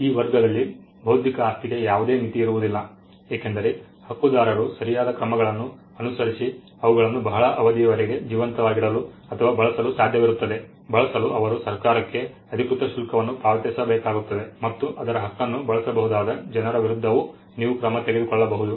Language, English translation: Kannada, There is no limit to this category of intellectual property because, their life is as long as the right holder wants to keep them alive; he just needs to pay money to the government has official fee and you also needs to take action against people who may use its right